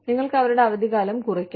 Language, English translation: Malayalam, You could, cut down on their vacations